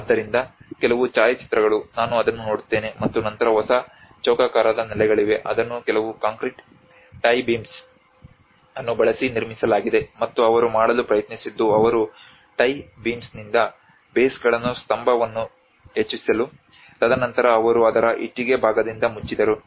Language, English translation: Kannada, So some of the photographs I will go through it and then so there is a new square bases which has been constructed using some concrete tie beams and what they tried to do is they made the bases with the tie beams to raise the plinth, and then they covered with the brick part of it